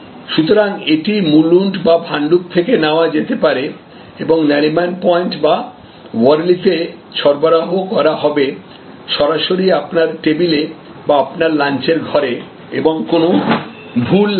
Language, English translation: Bengali, So, it might be picked up from Mulund or Bhandup and delivered at Nariman point or Worli and it is delivered right at your table or in your lunch room and flawlessly